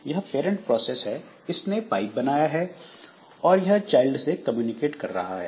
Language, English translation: Hindi, So, this is the parent process which has created the pipe and I have got it is communicating with a child